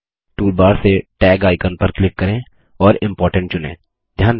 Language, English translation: Hindi, From the toolbar, click the Tag icon and click Important again